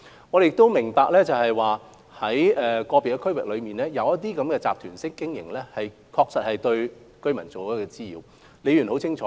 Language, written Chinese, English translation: Cantonese, 我們亦明白，在個別地區，旅行團的活動確實對居民造成滋擾。, We also appreciate that in certain districts the activities of tour groups have caused nuisances to residents